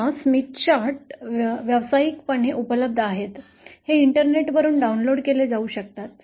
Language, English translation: Marathi, Now, the Smith charts are commercially available, they can be downloaded from the Internet